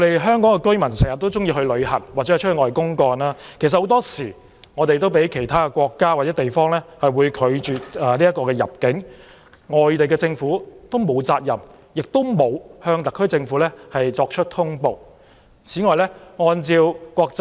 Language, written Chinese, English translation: Cantonese, 香港居民經常會出外旅遊或公幹，有些人也會被其他國家或地方拒絕入境，而外地政府沒有責任向特區政府作出通報，事實上也沒有通報機制。, Hong Kong residents often travel abroad for sightseeing or business purpose and some of them may be refused entry by other countries or regions . Foreign governments are not duty - bound to make reports to the SAR Government and there are no reporting mechanisms in actuality